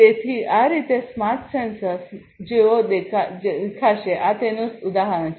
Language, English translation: Gujarati, So, this is how is this is how a smart sensor would look like a smart sensor this is an example of it